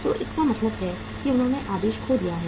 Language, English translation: Hindi, So it means they have lost the order